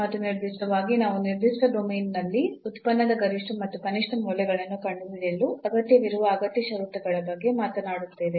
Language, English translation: Kannada, And in particular we will be talking about the necessary conditions that are required to find the maximum and minimum values of the function in a certain domain